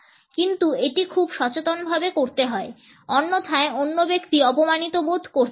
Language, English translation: Bengali, But, it has to be done in a very conscious manner; otherwise the other person may feel insulted